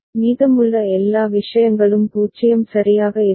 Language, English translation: Tamil, All the rest of the things will be 0 ok